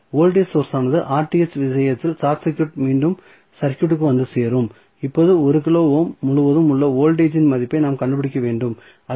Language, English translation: Tamil, So, will the voltage source, which we short circuited in case of Rth will come back in the circuit again and now, we have to find out the value of the voltage which is across 1 kilo ohm that is V naught